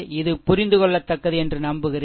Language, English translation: Tamil, And hope this is understandable to